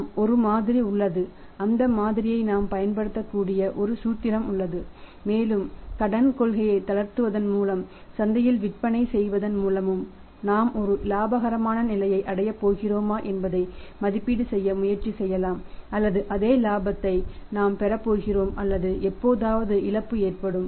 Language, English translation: Tamil, Yes there is a model there is a formula we can use that model and we can try to evaluate whether we are going to end up at a profitable state by relaxing the credit policy and selling phone in the market or we are going to have same profit or sometime the loss